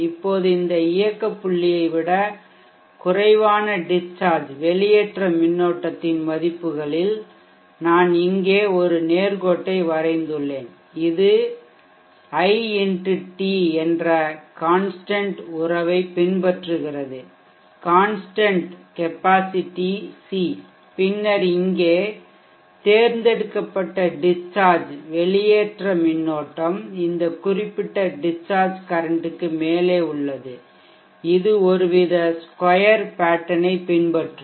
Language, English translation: Tamil, Now at the values of discharge current lower than this operating point, I have drawn a straight line here and it is following this relationship which is I x t = c and then here discharge current above this particular discharge current, it will follow some kind of square pattern